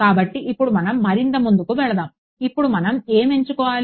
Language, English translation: Telugu, So, now let us proceed further, let us now put in now what does it that we have to choose